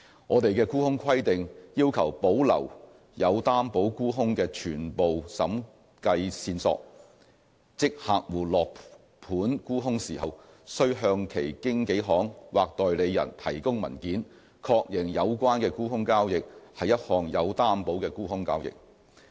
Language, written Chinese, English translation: Cantonese, 我們的沽空規定要求保留有擔保沽空的全部審計線索，即客戶落盤沽空時，須向其經紀行或代理人提供文件，確認有關的沽空交易是一項有擔保的沽空交易。, Our short selling regulation requires a full audit trail to be kept for covered short sales meaning that when clients place short selling orders they must provide documentary confirmation to their brokers or agents that the sale is shorted and it is covered